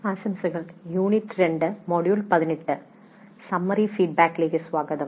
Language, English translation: Malayalam, Greetings, welcome to module 2, Unit 18 on summary feedback